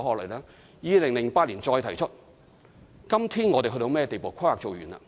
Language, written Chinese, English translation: Cantonese, 該發展計劃2008年再提出，今天已經完成了規劃。, The development scheme was again proposed in 2008 and its planning has been concluded